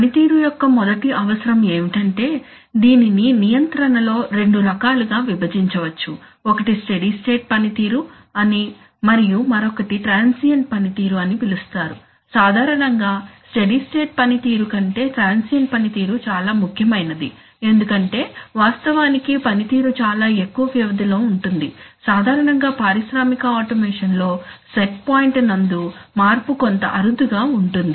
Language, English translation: Telugu, The first requirement of performance is that, performance can be divided into two types in control, one is called steady state performance and other is called transient performance, in general steady state performance is much more important than transient performance, simply because of the fact that, that performance holds over a much longer interval, generally in industrial automation the set point change is somewhat infrequently